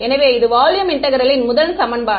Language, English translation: Tamil, So, this is volume integral first equation well ok